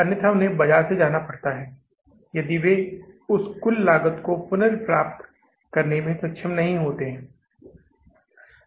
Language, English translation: Hindi, Otherwise, they have to go out of the market if they are not able to recover the total cost